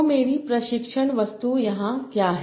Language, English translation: Hindi, So what can be my training objective